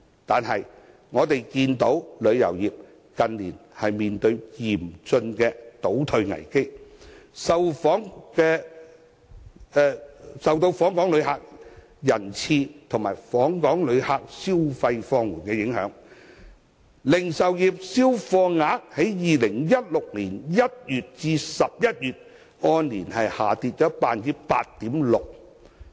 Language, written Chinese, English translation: Cantonese, 可是，我們看到旅遊業近年面對嚴峻的倒退危機，受到訪港旅客人次及訪港旅客消費放緩的影響，零售業銷貨額在2016年1月至11月按年下跌 8.6%。, Affected by the drop in both visitor arrivals and visitor spending in Hong Kong retail sales registered a year - on - year decline of 8.6 % in volume terms from January to November 2016